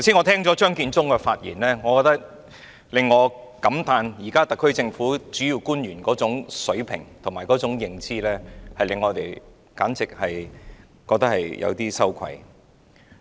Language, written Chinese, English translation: Cantonese, 聽過張建宗剛才的發言後，我感歎現時特區政府主要官員的水平和認知，簡直令我們感到有點羞愧。, Having listened to the speech of Matthew CHEUNG earlier on I lament the standard and cognitive ability of the principal officials of the SAR Government . They are downright a disgrace to us